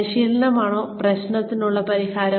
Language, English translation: Malayalam, Is training, the solution to the problem